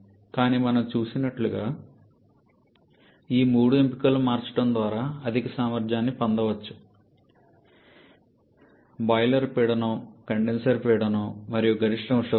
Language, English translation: Telugu, But as we have seen we can get higher efficiency by changing all these three options: boiler pressure, condenser pressure and maximum temperature